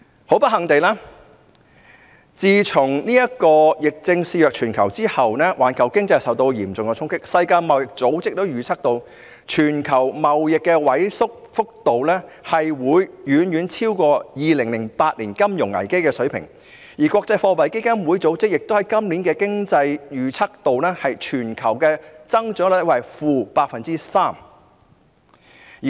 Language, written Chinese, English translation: Cantonese, 很不幸地，自從疫症肆虐全球之後，環球經濟受到嚴重衝擊，世界貿易組織也預測，全球貿易的萎縮速度會遠遠超過2008年金融危機的水平，而國際貨幣基金組織亦在今年的經濟預測中，預計全球增長率為 -3%。, Unfortunately the global economy has been hard hit as the epidemic swept across the world . The World Trade Organization predicts that global trade will shrink at a much faster rate than during the financial crisis in 2008 whereas the International Monetary Fund also projects the global growth forecast of this year to be - 3 %